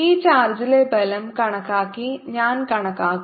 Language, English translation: Malayalam, i'll calculate by calculating the force on this charge